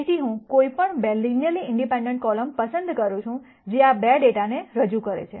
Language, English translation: Gujarati, So, I pick any 2 linearly independent columns that represents this data